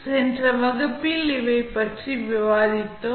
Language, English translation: Tamil, Now, these we have discussed in the previous class